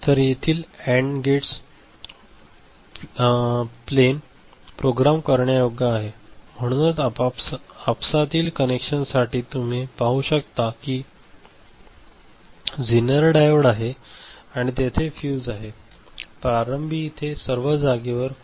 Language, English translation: Marathi, So, this AND gates this plane is programmable, so these are the interconnections you can see this is zener diode and there is a fuse, initially all of them are there